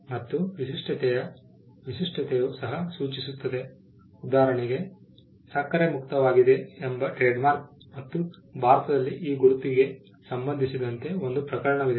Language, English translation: Kannada, Distinctiveness can also be suggestive; for instance, the trademark sugar free and there was a case in India pertaining to this mark means the product is free of sugar